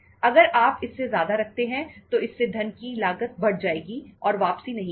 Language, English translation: Hindi, If you keep more than that the cost of funds will go up and return will not be there